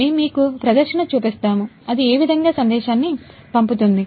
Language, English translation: Telugu, We will show a demo you can see, it will send the message